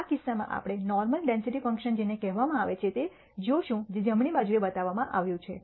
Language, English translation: Gujarati, In this case we will look at what is called the normal density function which is shown on the right